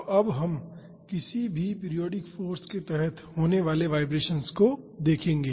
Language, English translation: Hindi, So, now we will look into the vibrations under any periodic force